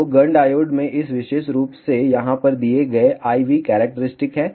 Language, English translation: Hindi, So, Gunn diode has I V characteristics given by this particular form over here